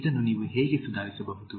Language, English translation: Kannada, how can you improve on this